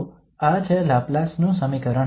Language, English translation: Gujarati, So this is the Laplace equation